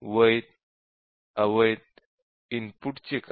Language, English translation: Marathi, So, what about the valid invalid input